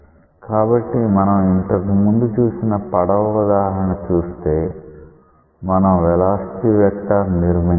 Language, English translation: Telugu, So, see the example of the boat that we saw earlier and you may construct such velocity vector